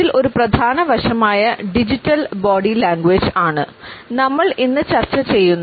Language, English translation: Malayalam, One major aspect is digital body language, which we would discuss today